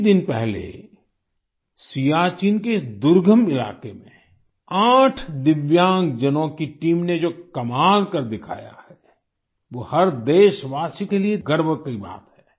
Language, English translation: Hindi, A few days ago, the feat that a team of 8 Divyang persons performed in this inaccessible region of Siachen is a matter of pride for every countryman